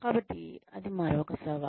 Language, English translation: Telugu, So, that is another challenge